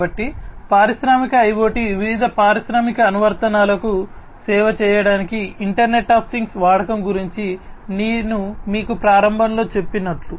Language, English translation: Telugu, So, as I told you at the outset that Industrial IoT is about the use of Internet of Things for serving different industrial applications